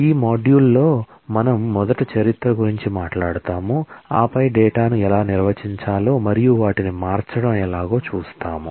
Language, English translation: Telugu, In this module we will first talk about the history and then we will see how to define data and start manipulating them